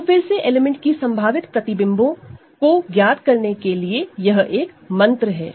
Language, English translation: Hindi, So, again this is the mantra to determine images of possible images of an element